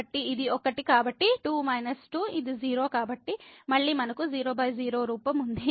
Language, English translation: Telugu, So, this is 1 so, 2 minus 2 which is 0 so, again we have 0 by 0 form